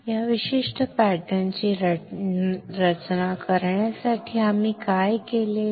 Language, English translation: Marathi, For designing this particular pattern what we have done